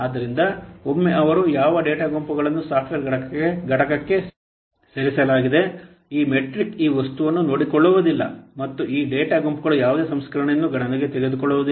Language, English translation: Kannada, So once they what data groups they have been moved into the software component, this metric does not take care of this, this metric does not take into account any processing of these data groups